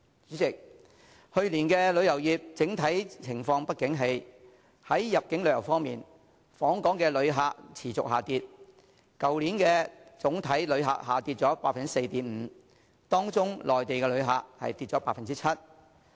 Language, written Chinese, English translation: Cantonese, 主席，去年旅遊業整體情況不景氣，在入境旅遊方面，訪港旅客量持續下跌，去年總體旅客量下跌 4.5%， 當中內地旅客人數下跌近 7%。, President the tourism industry in general suffered a downturn last year . In terms of inbound tourism there was a continued decline in visitor arrivals . Overall visitor arrivals fell by 4.5 % last year and in particular arrivals of Mainland visitors dropped by almost 7 %